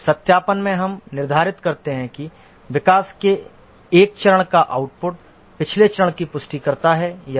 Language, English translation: Hindi, In verification, we determine whether output of one phase of development conforms to the previous phase